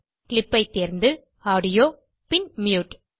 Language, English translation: Tamil, Choose Clip, Audio and Mute